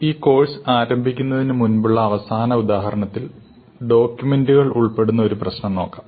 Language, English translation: Malayalam, So for our final example before we really get into the course, let us look at a problem involving documents